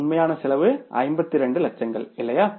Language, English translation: Tamil, The actual cost is 52 lakhs, right